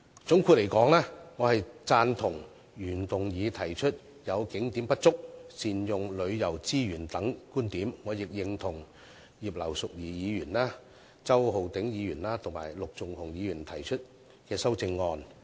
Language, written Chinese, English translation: Cantonese, 總括而言，我贊同原議案中有關景點不足和善用旅遊資源等觀點，亦認同葉劉淑儀議員、周浩鼎議員及陸頌雄議員提出的修正案。, All in all I agree with the points stated in the original motion concerning the lack of tourist attractions and the optimal use of tourism resources and I support the amendments proposed by Mrs Regina IP Mr Holden CHOW and Mr LUK Chung - hung